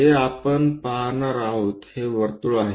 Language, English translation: Marathi, This is the circle what we are going to see